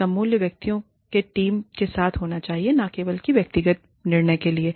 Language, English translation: Hindi, It should have the value, with a team of individuals, and not just an individual judgement